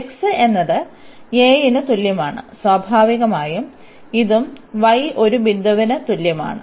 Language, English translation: Malayalam, So, this is x is equal to a and naturally this is also then y is equal to a point